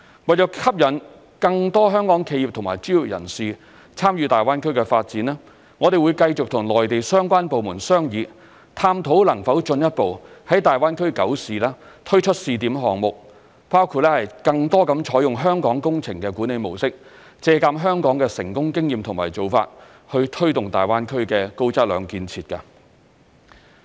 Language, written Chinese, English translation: Cantonese, 為吸引更多香港企業和專業人士參與大灣區發展，我們會繼續與內地相關部門商議，探討能否進一步在大灣區九市推出試點項目，包括更多採用香港工程管理模式，借鑒香港的成功經驗和做法，推動大灣區的高質量建設。, In order to attract more Hong Kong corporations and professionals to take part in the development of the Greater Bay Area we will continue to negotiate with relevant Mainland departments to explore the introduction of more pilot projects to nine cities in the Greater Bay Area including the increasing adoption of Hong Kongs project management model to promote high - quality construction in the Greater Bay Area based on Hong Kongs experience and practices